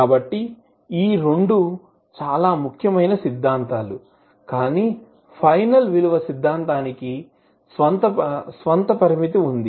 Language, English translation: Telugu, So these two are very important theorems but the final value theorem has its own limitation